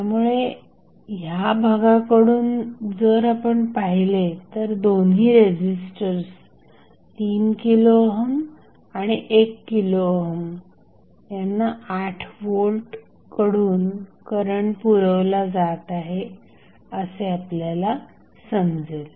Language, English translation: Marathi, So, from this segment, if you see this segment the 8 volt is supplying current to both of the registrants is that is 3 kilo ohm, 1 kilo ohm, both, so, this is nothing but voltage divided circuit